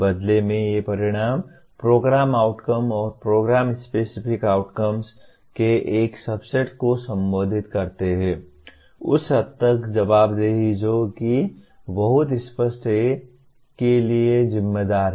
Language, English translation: Hindi, These outcomes in turn address a subset of Program Outcomes and Program Specific Outcomes to the extent the accountability who is responsible for what is made very clear